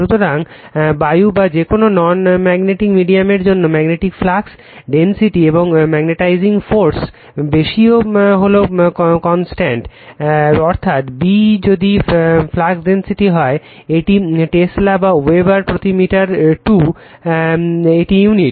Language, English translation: Bengali, So, for air or any non magnetic medium, the ratio of magnetic flux density to magnetizing force is a constant, that is if your B is the flux density, it is Tesla or Weber per meter square it is unit right